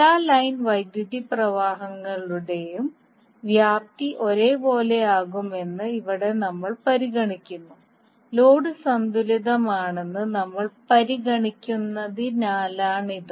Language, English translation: Malayalam, Here the amount that is magnitude of all line currents will be we are considering as same and because we are considering that the load is balanced